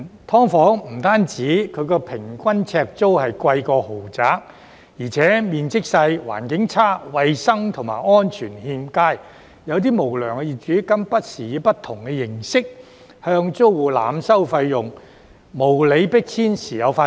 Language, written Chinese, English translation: Cantonese, "劏房"不止平均呎租比豪宅貴，而且面積狹小、環境惡劣，衞生及安全欠佳，有些無良業主更不時以不同形式向租戶濫收費用，無理迫遷時有發生。, Not only has the average per - square - foot rent of SDUs surpassed that of luxury flats but SDUs are also small and deplorable with poor hygiene and safety . Some unscrupulous landlords have even overcharged tenants through different means and unreasonable evictions have occurred from time to time